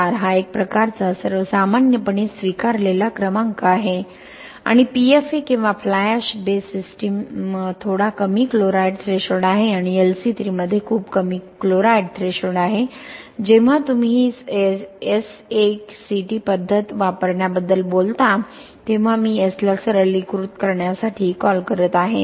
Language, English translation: Marathi, 4 is kind of widely accepted number for OPC system and PFA or fly ash base system are slightly low chloride threshold and LC3 has much lower chloride threshold when you talk about I meanÖ Using this SACT method I am calling S for simplify